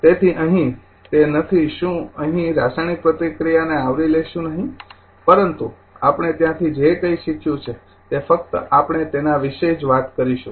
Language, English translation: Gujarati, So, here will not your what you call here will not cover to the chemical reaction another thing, but some whatever we have learn from there only we talk about that